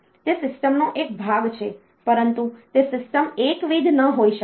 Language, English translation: Gujarati, It is a part of a system, but that system may not be a monolithic one